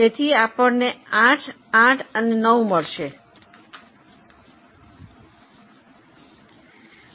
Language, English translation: Gujarati, So, you have got 8, 8 and 9